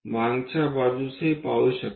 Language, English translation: Marathi, One can look from back also